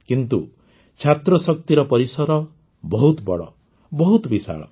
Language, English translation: Odia, But the scope of student power is very big, very vast